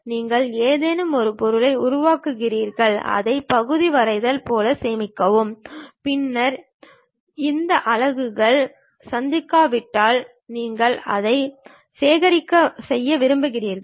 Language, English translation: Tamil, You create something object, save it like part drawing, then you want to really make it assemble unless these units meets you will not be in a position to get effective drawing